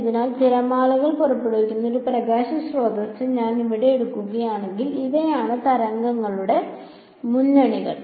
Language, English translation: Malayalam, So, if I take a light source over here which is sending out waves, so these are the waves fronts